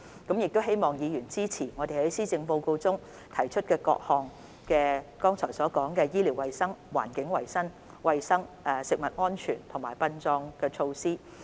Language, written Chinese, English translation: Cantonese, 我希望議員支持我們在施政報告中提出和剛才所述關於醫療衞生、環境衞生、食物安全及殯葬等事宜的各項措施。, I hope Members will support our measures proposed in the Policy Address and mentioned just now in respect of such matters as medical and health services environmental hygiene food safety and burial